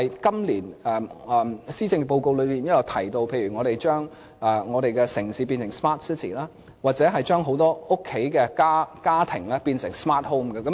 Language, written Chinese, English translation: Cantonese, 今年的施政報告提到要將我們的城市變成 smart city， 將很多家居變成 smart homes。, In the Policy Address of this year it has been proposed that we should turn our city into a smart city and many of our homes into smart homes